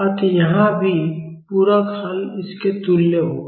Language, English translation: Hindi, So, here also the complementary solution will be equal to this